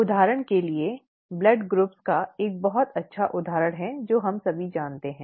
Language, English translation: Hindi, For example, it is a very good example that of blood groups, we all know